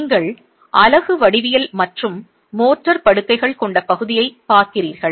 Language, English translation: Tamil, You are looking at the unit geometry and the mota bedded area